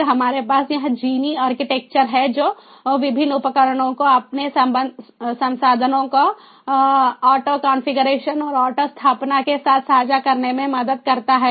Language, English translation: Hindi, then we have this jini architecture that helps in connecting various devices, sharing their resources, with auto configuration and auto installation